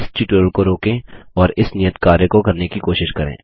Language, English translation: Hindi, Pause this tutorial and try out this Assignment